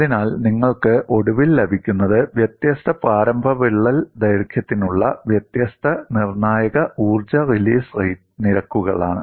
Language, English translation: Malayalam, So, what you eventually get is different critical energy release rates for different initial crack lengths